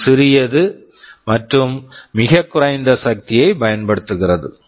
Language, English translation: Tamil, It is small, it also consumes very low power